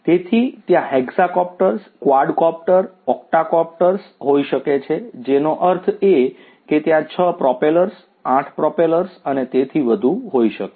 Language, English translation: Gujarati, So, there could be you know hexacopters, quadcopter you know octocopters which means that there could be 6 propellers, 8 propellers and so on